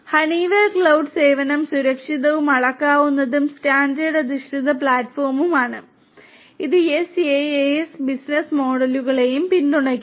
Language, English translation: Malayalam, Honeywell cloud service is a secured, scalable and standard based platform, it supports SaaS business models as well